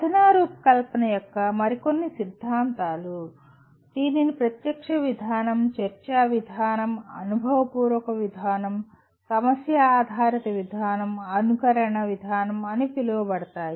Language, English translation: Telugu, Some more theories of instructional design call it direct approach, discussion approach, experiential approach, problem based approach, simulation approach